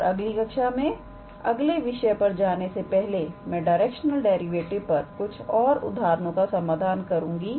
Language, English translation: Hindi, And in the next class, I will try to solve one more example on directional derivative before we move on next topic